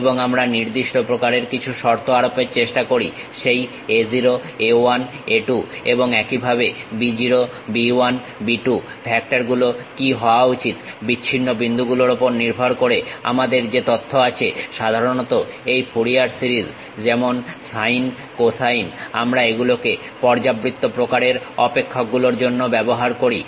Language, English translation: Bengali, And, we try to impose certain kind of condition what should be that factor a0, a 1, a 2 and so on b0, b 1, b 2 based on the discrete points what we have information usually this Fourier series like sine cosine we use it for periodic kind of functions, but these data points may not follow a periodic functions